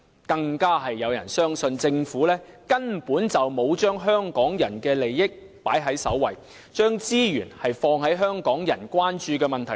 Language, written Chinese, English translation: Cantonese, 更有人相信，政府根本沒有把香港人的利益放在首位，沒有把資源放在香港人關注的問題上。, Some even believe that the Government has simply not accorded top priority to Hong Kong peoples interests such that it does not put in resources to address issues that Hong Kong people are concerned about